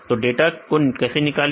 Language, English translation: Hindi, How to retrieve the data